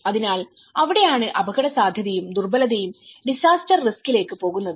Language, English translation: Malayalam, So that is where the hazard plus vulnerability is going to disaster risk